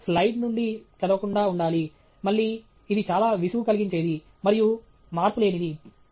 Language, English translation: Telugu, You should avoid reading from a slide; again, that’s very boring and monotonous